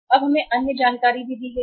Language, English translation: Hindi, And now we are given the other information also